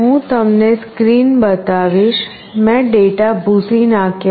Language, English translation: Gujarati, I will show you the screen, I have cleared out the data